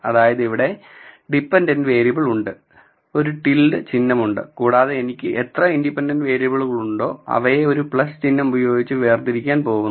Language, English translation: Malayalam, So, I have my dependent variable here then I have a tilde sign and how many ever independent variables I have I am going to separate them with a plus sign